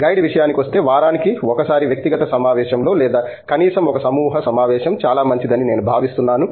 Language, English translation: Telugu, As far as the guide is concerned, I think once a week either in individual meeting or least a group meeting is pretty good